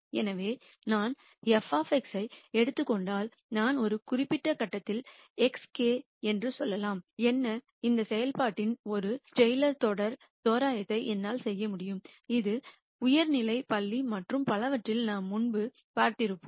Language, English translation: Tamil, So, if I take f of x and then let us say I am at a particular point x k, what I can do is I can do a taylor series approximation of this function which we would have seen before in high school and so on